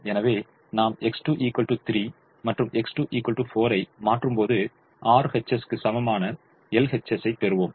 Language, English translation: Tamil, so when we substitute x one equal to three and x two equal to four, we will get l h s equal to r h s